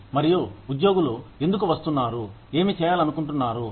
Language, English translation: Telugu, And, what the employees coming in, will want to do